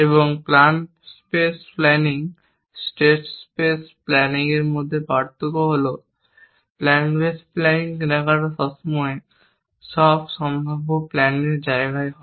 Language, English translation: Bengali, And the different between plan spaces planning, state space planning is plan space planning purchase in the space of all possible plans